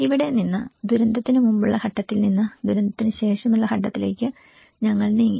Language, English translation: Malayalam, And from here, we moved on with the stagewise disaster from pre disaster to the post disaster